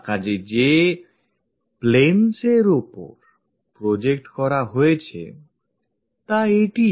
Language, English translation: Bengali, So, the planes on which it is projected is this